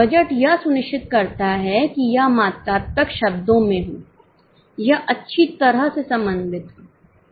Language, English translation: Hindi, Budget ensures that it is in quantitative terms, it is well coordinated